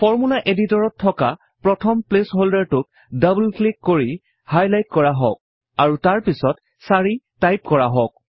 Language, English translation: Assamese, Let us highlight the first placeholder in the Formula editor by double clicking it and then typing 4